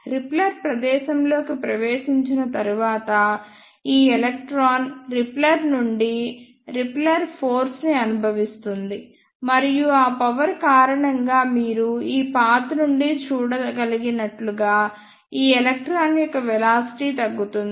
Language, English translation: Telugu, After entering into repeller space, this electron will feel repulsive force from the repeller; and because of that force the velocity of this electron will decrease as you can see from this path